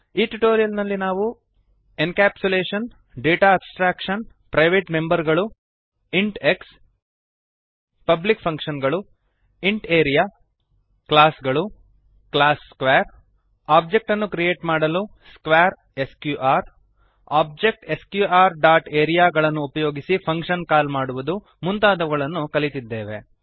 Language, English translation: Kannada, Let us summarize In this tutorial we have learnt, Encapsulation Data Abstraction Private members int x Public functions int area Classes class square To create object square sqr To call a function using object sqr dot area() As an assignment write a program to find the perimeter of a given circle